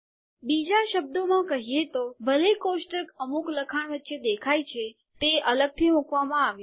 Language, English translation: Gujarati, In other words, even though the table appear in between some text, it has been put separately